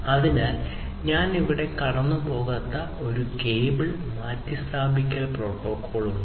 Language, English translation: Malayalam, So, there is a cable replacement protocol which I am not going through over here